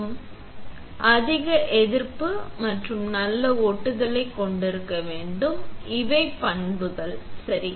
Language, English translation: Tamil, It should have a high resistant and good adhesion; these are properties, ok